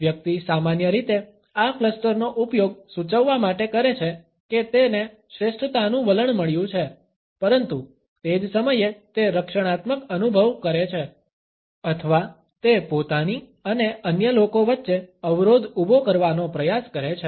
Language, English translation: Gujarati, The person normally uses this cluster to suggest that he has got a superiority attitude, but at the same time he is feeling defensive or he is trying to create a barrier between himself and others